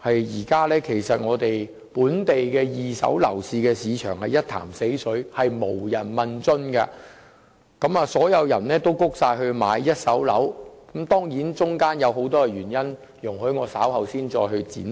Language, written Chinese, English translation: Cantonese, 現時本地二手樓市一潭死水，無人問津，所有人也轉至購買一手樓；當中固然有很多原因，容我稍後再作闡述。, At present the secondary market has been stagnant without any interested home buyers whereas all home buyers have turned to the primary market . There are certainly many reasons for that . Let me further elaborate on them later